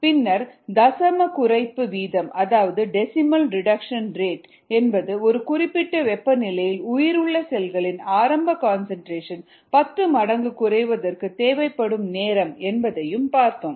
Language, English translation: Tamil, so this is what we arrived at, and then we also looked at something called a decimal reduction rate, which is the time that is required for a ten fold decrease in viable cell concentration at a given temperature